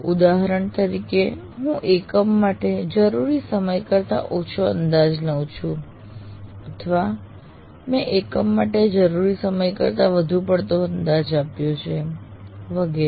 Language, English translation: Gujarati, For example, I might be underestimating the time required for a unit or I have overestimated the time required for a unit and so on